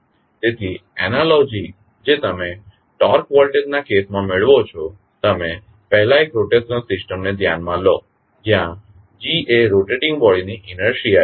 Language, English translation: Gujarati, So, the analogy which you get, in case of torque voltage, you first consider one rotational system, where g is the inertia of rotating body